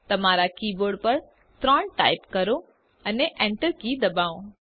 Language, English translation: Gujarati, Type 3 on your keyboard and hit the enter key